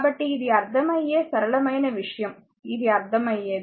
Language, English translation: Telugu, So, this is a understandable a simple thing this is a understandable to you, right